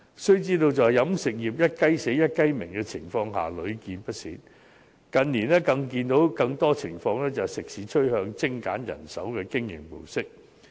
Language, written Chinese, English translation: Cantonese, 須知道飲食業"一雞死、一雞鳴"的情況屢見不鮮，而近年所見的更多情況是食肆趨向精簡人手的經營模式。, Members should understand that it is not rare to find the closure of an eatery to be followed by the opening of a new one . In recent years it is more common to find the trend of eateries adopting a mode of operation that seeks to streamline manpower